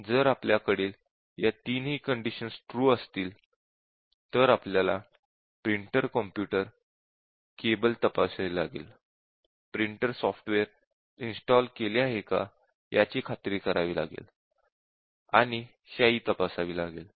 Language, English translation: Marathi, If we have all three of them, yes, then it check the printer computer cable, hence your printer software is installed and check and replace ink